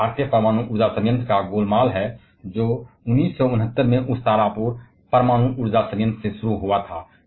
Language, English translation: Hindi, And these are the breakup of Indian nuclear power plant started in as old as 1969 from that Tarapur atomic power plant